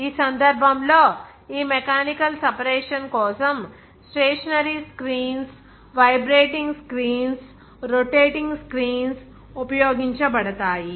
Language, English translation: Telugu, In this case, stationary screens, vibrating screens, rotating screens are to be used for this mechanical separation